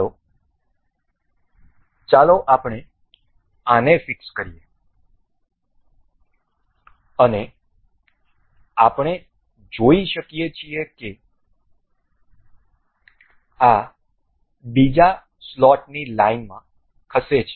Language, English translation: Gujarati, So, let us just let us fix this one and we can see this moves as in line with the other slot